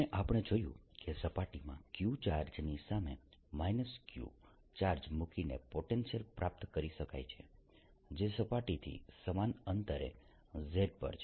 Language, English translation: Gujarati, and we found that the potential can be obtained by putting a minus charge, minus q charge for a charge q in front of the surface which is at a distance, z at the same distance from the surface